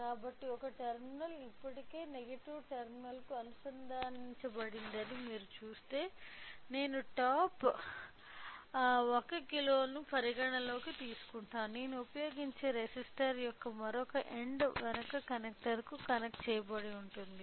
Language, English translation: Telugu, So, if I consider the top 1 kilo if you see that one terminal is already connected to the negative terminal whereas, other end of the resistor I will use it is connected to the buck connector